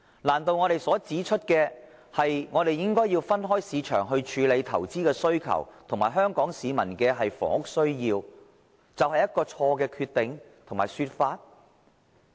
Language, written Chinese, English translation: Cantonese, 難道我們所指出，應該分開市場處理投資的需求及香港市民的房屋需要，就是錯誤決定和說法？, Can it be said that it is a wrong decision and a wrong argument that the investment need of the market and the housing need of Hong Kong people should be dealt with separately?